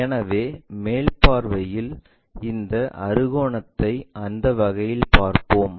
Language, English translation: Tamil, So, in the top view, we will see this hexagon in that way